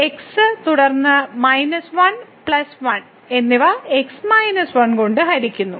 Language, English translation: Malayalam, So, and then minus 1 plus 1 divided by minus 1